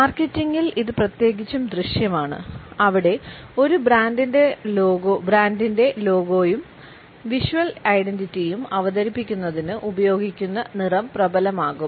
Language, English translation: Malayalam, It is particularly visible in marketing where the color, which has been used for presenting a brands logo and visual identity, becomes dominant